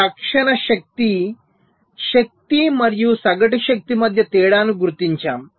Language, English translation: Telugu, so we distinguish between instantaneous power, energy and average power